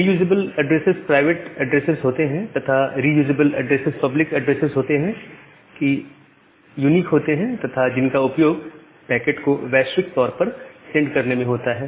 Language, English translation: Hindi, So, the reusable address are the private address and the non reusable address are the public address which are unique and which are used to send the packets globally